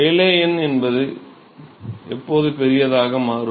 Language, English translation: Tamil, So, when would Rayleigh number become very large